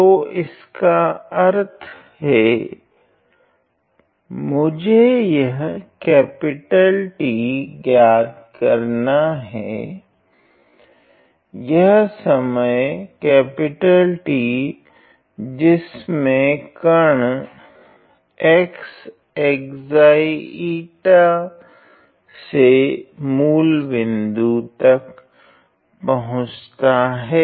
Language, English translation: Hindi, So, which means I need to find this capital T, this time point T where the particle x goes from zeta comma eta to the origin ok